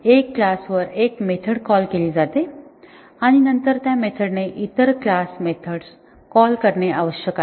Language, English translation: Marathi, A method is called on one class and then it needs to call other class methods